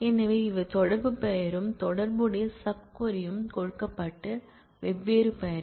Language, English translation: Tamil, So, these are the different names given the correlation name and the correlated sub query